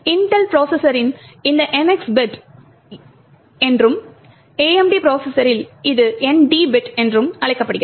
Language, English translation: Tamil, On Intel processors this is called as the NX bit while in the AMD processors this is known as the ND bit